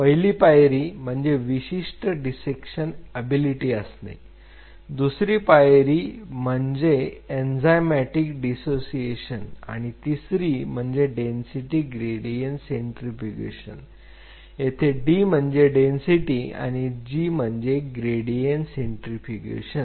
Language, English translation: Marathi, It requires a proper dissection ability step one then it needs enzymatic dissociation and then it requires density gradient centrifugation D stand for density g for gradient centrifugation